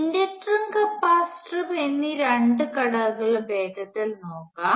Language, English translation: Malayalam, Let us quickly look at the other two elements the inductor and the capacitor